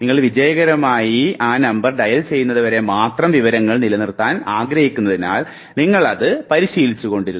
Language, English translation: Malayalam, You were rehearsing because you wanted to retain information only till you could successfully dial it